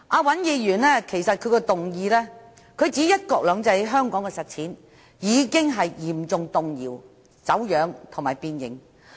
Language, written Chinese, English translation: Cantonese, 尹議員的議案指"'一國兩制'在香港的實踐已經嚴重動搖、走樣和變形"。, Mr WAN says in his motion that the implementation of one country two systems in Hong Kong has been severely shaken distorted and deformed